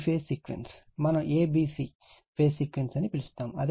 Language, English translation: Telugu, This phase sequence, we call a b c phase sequence right we call a b c phase sequence